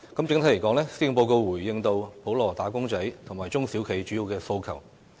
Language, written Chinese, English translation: Cantonese, 整體而言，施政報告回應到普羅"打工仔"和中小企主要的訴求。, Overall this years Policy Address does respond to the major demands of ordinary wage earners and small and medium enterprises SMEs